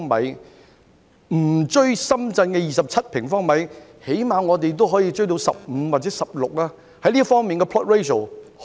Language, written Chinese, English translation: Cantonese, 即使我們追不上深圳的27平方米，起碼也可以追到15或16平方米吧？, Even if we cannot catch up with Shenzhens 27 sq m we should at least be able to reach up to 15 or 16 right?